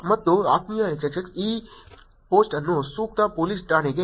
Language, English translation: Kannada, And Dear XXX, This post has been forwarded to appropriate police station